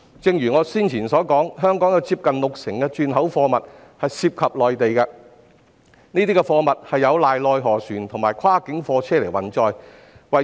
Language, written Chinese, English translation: Cantonese, 正如我先前所說，香港近六成轉口貨物涉及內地，並依靠內河船及跨境貨車運載這些貨物。, As I mentioned earlier nearly 60 % of Hong Kongs re - exports involve the Mainland and we rely on river trade vessels and cross - boundary goods vehicles to carry these goods